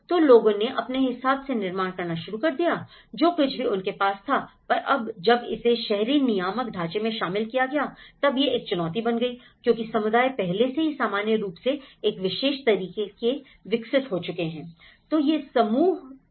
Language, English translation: Hindi, So, people started already building up with whatever the facilities they have, so now, when it has been included then the urban regulatory frameworks have been incorporated, so that becomes a challenge because communities have already developed in their own ways of patterns of the normally developed